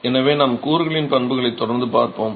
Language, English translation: Tamil, So, we will continue looking at the properties of the constituents